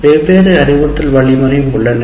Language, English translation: Tamil, And there are several instruction design frameworks